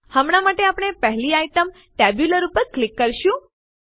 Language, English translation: Gujarati, For now, we will click on the first item, Tabular